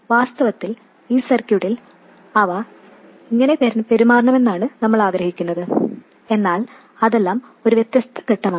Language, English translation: Malayalam, In fact, that's how we want them to behave in this circuit but that is a different step altogether